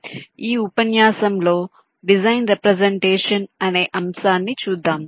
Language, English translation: Telugu, so the topic of this lecture is design representation